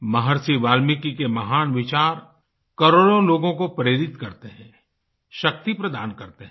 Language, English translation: Hindi, Maharishi Valmiki's lofty ideals continue to inspire millions of people and provide them strength